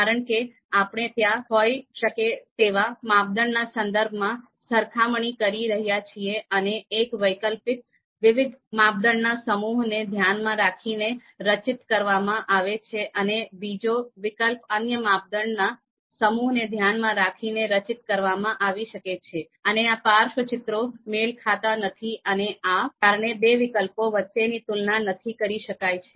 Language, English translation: Gujarati, Because we are doing the comparison with respect to the the criteria that could be there and one alternative would be profiled with respect to a set of different criteria and the another alternative could be profiled with respect to another set of criteria and that mismatch between these profiles might render the you know comparison between these two you know alternatives useless